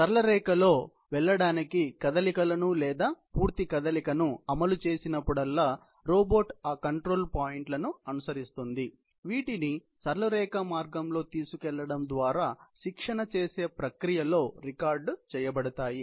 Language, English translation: Telugu, Whenever you execute the motion or the complete motion to go on a straight line, the robot will just follow those control points, which have been recorded in the process of training it, by taking it along physically on the path of the straight line